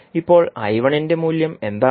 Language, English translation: Malayalam, Now what is the value of I1